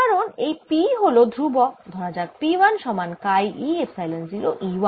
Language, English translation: Bengali, because p is a constant p lets call p one equals chi e, epsilon zero, e one